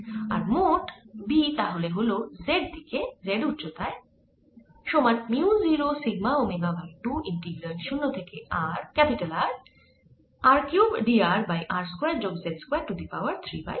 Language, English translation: Bengali, or there's an omega, o, sorry, there is an omega: mu zero, sigma omega divided by two, integral zero to r, r cubed, d r over r square plus z square raise to three by two